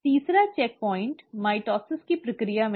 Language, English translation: Hindi, The third checkpoint is actually in the process of mitosis